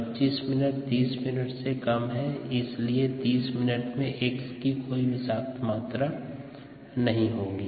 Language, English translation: Hindi, ok, at twenty five minutes is less than thirty minutes, and therefore at thirty minutes there will be no toxic amount of x left